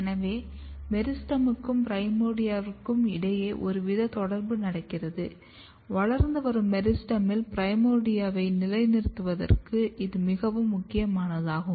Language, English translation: Tamil, So, this tells that some kind of communication between meristem and the primordia is going on and this is absolutely important for positioning primordia in the growing meristem